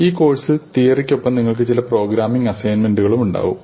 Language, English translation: Malayalam, Now along with the theory, in this course we will have some programming assignments